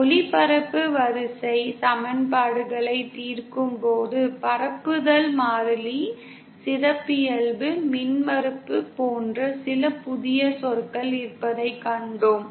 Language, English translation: Tamil, On solving the transmission line equations, we saw that we had some new terms like the propagation constant, characteristic impedance